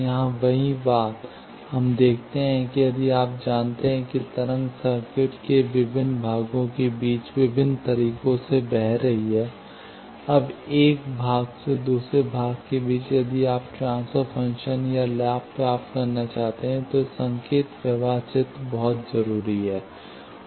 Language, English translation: Hindi, The same thing here; we see that, if we know the wave is propagating with, in various ways, between various parts of a circuit, now, from one part to another part, if you want to find the transfer function, or the gain then this signal flow graph is very much needed